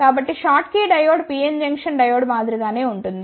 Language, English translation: Telugu, So, the schottky diode is similar to the PN Junction diode